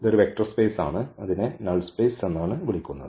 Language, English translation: Malayalam, This is a vector space which is called null space